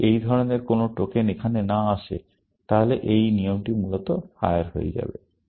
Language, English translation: Bengali, If there is no such token coming here, then this rule will fire, essentially